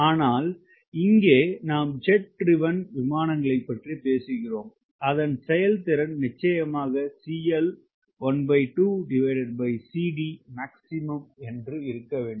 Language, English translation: Tamil, but here we are talking about jet driven aircraft and which we have done in performance course